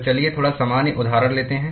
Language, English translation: Hindi, So, let us take a little general example